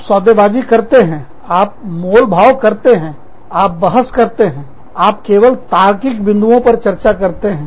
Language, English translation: Hindi, You bargain, you negotiate, you argue, you discuss, only on logical points